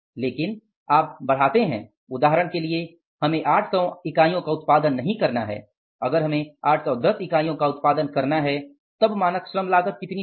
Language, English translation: Hindi, That for example, we have not to produce units if we have to produce 810 units then how much should be the standard labor cost